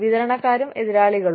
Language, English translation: Malayalam, Suppliers and competitors